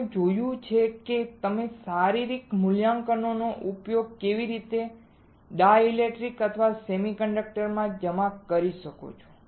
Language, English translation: Gujarati, We will see how you can deposit dielectrics or semiconductors right using physical evaluation